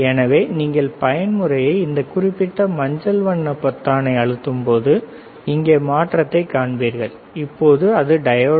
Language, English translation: Tamil, So, when you press the mode this particular yellow colour button you will see the change here now it is diode